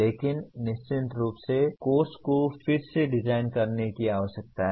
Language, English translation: Hindi, But of course that requires the curriculum redesigned